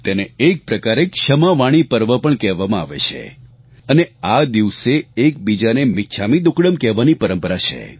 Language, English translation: Gujarati, It is also known as the KshamavaniParva, and on this day, people traditionally greet each other with, 'michhamidukkadam